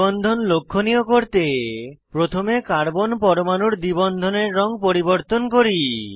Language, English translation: Bengali, To highlight double bond, let us first change the color of carbon atoms of the double bond